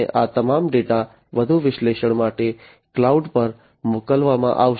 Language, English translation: Gujarati, And all these data will be sent to the cloud for further analytics and so on